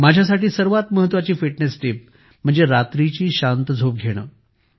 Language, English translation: Marathi, The best fitness tip for me absolutely the most important fitness tip is to get a good night sleep